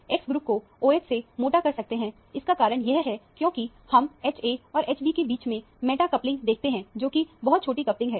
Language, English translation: Hindi, The reason we put the X groups meta to the OH is because we see the meta coupling between H a and H b, which is a very small coupling